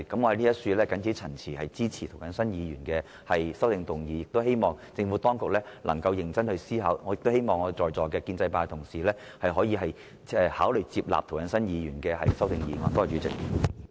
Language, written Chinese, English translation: Cantonese, 我謹此陳辭，支持涂謹申議員提出的修正案，亦希望政府當局能夠認真思考，並希望在座的建制派同事可以考慮支持涂謹申議員的修正案。, With these remarks I support the amendment proposed by Mr James TO . I hope that the Government will consider it seriously and I also hope that the pro - establishment colleagues will also consider supporting Mr James TOs amendment